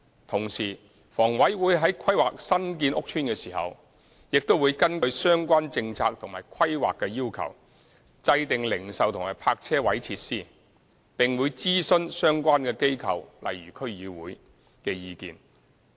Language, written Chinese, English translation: Cantonese, 同時，房委會在規劃新建屋邨時，會根據相關政策及規劃要求，制訂零售及泊車位設施，並會諮詢相關機構的意見。, At the same time HA would follow the relevant government policies and planning requirements for the provision of retail and carparking facilities when developing new public housing estates . Relevant organizations such as the District Councils will also be consulted